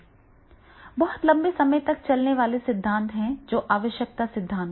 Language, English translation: Hindi, The very, very long sustainable theory is that is the need theory